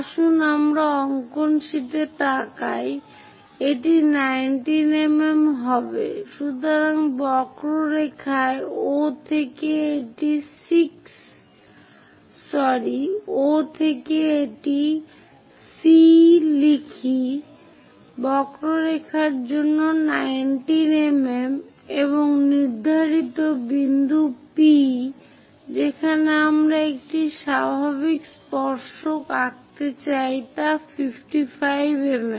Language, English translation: Bengali, So, from O on the curve at let us write it C for the curve is 19 mm and the point intended point P where we would like to draw a normal tangent is at 55 mm